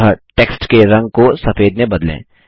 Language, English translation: Hindi, So let us change the color of the text to white